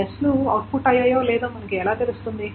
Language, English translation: Telugu, How do we know that S has been output or not